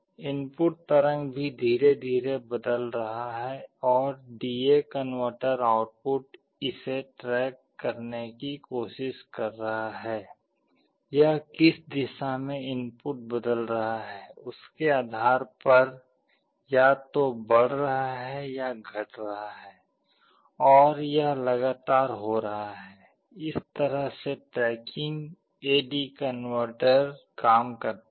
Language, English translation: Hindi, The input waveform is also changing slowly and D/A converter output is trying to track it, it is a either increasing or decreasing depending on which direction the input is changing and this is happening continuously; this is how tracking AD converter works